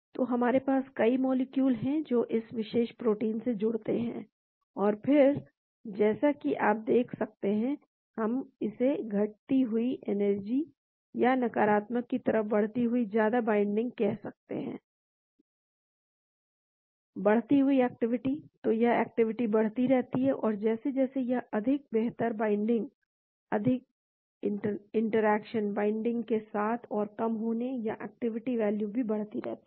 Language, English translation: Hindi, So, we have several molecules binding to the particular protein and again you can see, we call it decreasing energy or increasing the binding in a negative more binding; activity increasing, so that activity keeps increasing and then as it becomes more better binding, more interaction, more decreasing of the binding or the activity value also keeps increasing